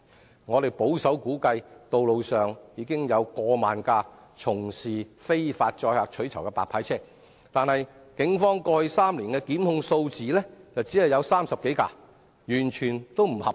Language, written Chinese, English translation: Cantonese, 據我們保守估計，道路上目前有超過1萬輛從事非法載客取酬的白牌車，但警方過去3年只對30多輛白牌車作出檢控，與現況完全不成正比。, Based on our conservative estimate there are currently over 10 000 unlicenced cars engaging in illegal carriage of passengers for reward on the roads . However the Police have only instituted prosecution against 30 - odd white licence cars in the past three years which is completely disproportionate to the actual situation